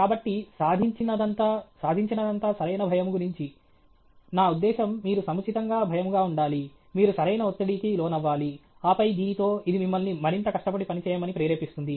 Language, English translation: Telugu, So, achievement is all about, achievement is all about optimal nervousness; I mean you should be optimally nervous, you should be optimally stressed, and then, with that, this propels you to work harder okay